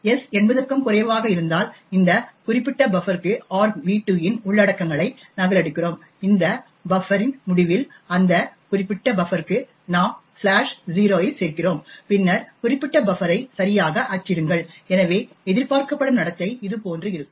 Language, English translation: Tamil, If s less than 80 then we copy the contents of argv2 into this particular buffer we add slash 0 to that particular buffer at the end of this buffer and then print the particular buffer okay so the expected behaviour would look something like this